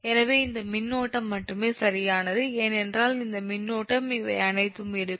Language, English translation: Tamil, so only this load current, right, because this current will be all these things